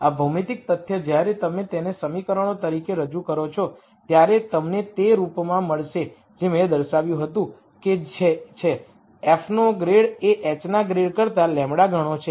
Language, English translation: Gujarati, This geometric fact when you represent it as equations, you would get the form that I showed which is minus grad of f is lambda times grad of h